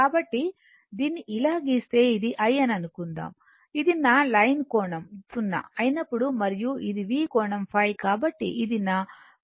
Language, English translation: Telugu, So, if you draw this so, if we make it suppose this is my I, this is my reference line angle in 0 when this my I, and this is V angle phi